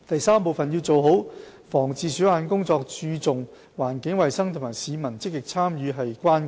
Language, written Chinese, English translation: Cantonese, 三要做好防治鼠患的工作，注重環境衞生及市民積極參與是關鍵。, 3 To prevent rodent infestation effectively maintaining environmental hygiene and active participation of the public is crucial